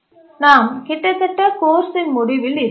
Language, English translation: Tamil, We are almost at the end of the course